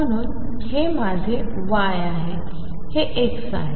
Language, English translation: Marathi, So, this is my y, this is x